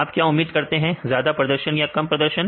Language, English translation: Hindi, So, expect high performance and low performance